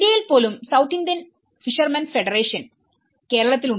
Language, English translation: Malayalam, Even in India, we have the South Indian Fishermen Federation which is in Kerala